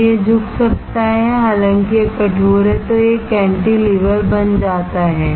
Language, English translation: Hindi, If this can bend, though it is stiff otherwise, then this becomes cantilever